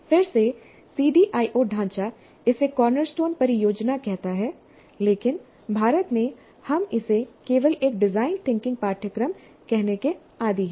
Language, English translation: Hindi, Again, CDIO framework calls this as cornerstone project, but in India we are more used to calling this as simply a design thinking course